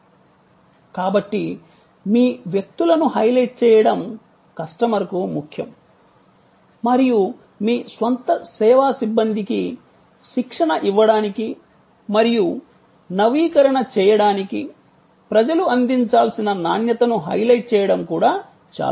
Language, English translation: Telugu, So, highlighting your people is important for the customer and highlighting the kind of quality, the people must deliver is also very important for training and upgrading your own personnel, service personnel